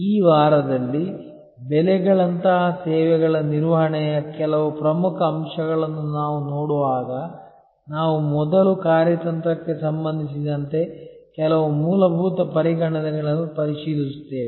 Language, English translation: Kannada, During this week, while we look at some important aspects of services management like pricing, we will first review some fundamental considerations with respect to strategy